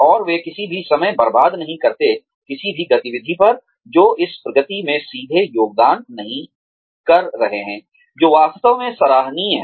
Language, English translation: Hindi, And, they do not waste any time, on any activities, that are not directly contributing to this progression, which is really commendable